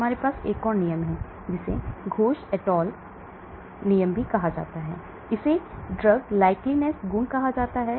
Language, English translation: Hindi, This is called Ghose et al drug likeness property